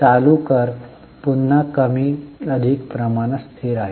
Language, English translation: Marathi, Current tax again is more or less constant